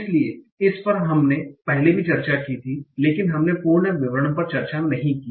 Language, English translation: Hindi, So, this we had discussed earlier also, but we did not discuss in full details